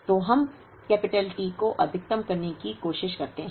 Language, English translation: Hindi, So, we try to maximize the T